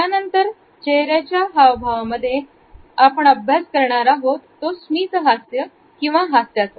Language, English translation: Marathi, The next facial expression which we shall take up is this smile